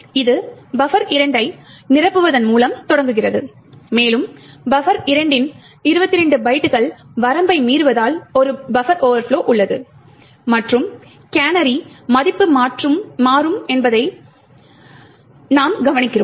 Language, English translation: Tamil, It starts off with filling buffer 2 and since we are exceeding the 22 byte limit of buffer 2 there is a buffer overflow and we note that the canary value gets changed